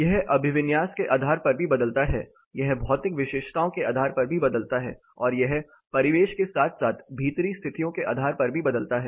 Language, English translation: Hindi, It varies based on the orientation, it varies based on the material properties, and it varies based on the ambient as well as indoor conditions